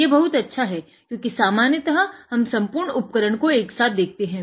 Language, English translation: Hindi, So, it is a very good thing because generally we see the entire equipment